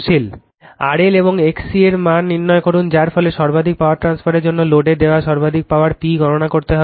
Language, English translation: Bengali, Determine the value of the R L and X C, which result in maximum power transfer you have to calculate the maximum power P delivered to the load